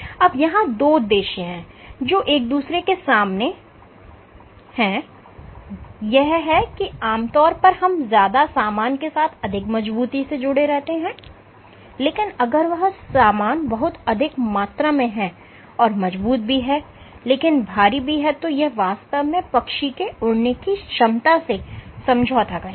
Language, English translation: Hindi, So, two objectives which are counter to each other, typically we associate strong with more material, but if the material if you have too much of the material the material it might be strong but it is very heavy, which will really compromise the ability of the bird to fly